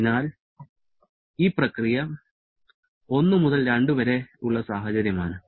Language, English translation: Malayalam, So, this is the scenario during this process 1 to 2